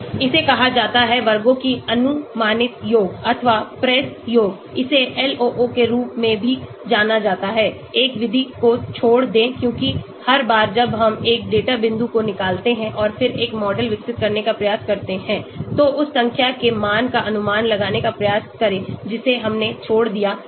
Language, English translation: Hindi, That is called predicted sum of squares or PRESS, it is also known as LOO, leave one out method because every time we remove one data point and then try to develop a model, try to predict the value for the number which we have left out